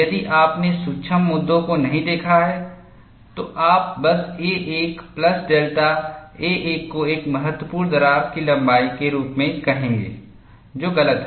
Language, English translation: Hindi, If you have not looked at the certain issues, you will simply say a 1 plus delta a 1 as a critical crack length, which is wrong